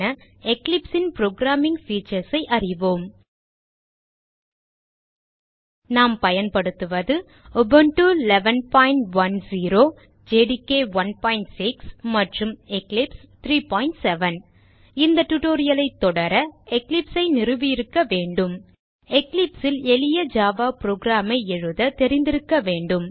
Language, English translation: Tamil, In this tutorial, we will learn about the user friendly programming features of Eclipse For this tutorial we are usingUbuntu 11.0, JDK 1.6, and Eclipse 3.7.0 To follow this tutorial, you must have Eclipse installed on your system, and You must know how to write a simple java program in Eclipse